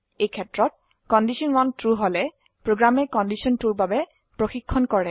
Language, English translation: Assamese, In this case, if condition 1 is true, then the program checks for condition 2